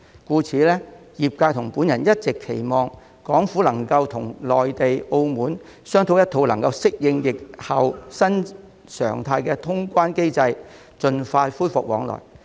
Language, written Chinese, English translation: Cantonese, 因此，業界與我一直期望港府能與內地及澳門商討一套能夠適應疫後新常態的通關機制，盡快恢復往來。, Therefore the industry and I have all along hoped that the Hong Kong Government will negotiate with the Mainland and Macao authorities for a border reopening mechanism to accommodate the post - pandemic new normal and resume cross - boundary travel as soon as possible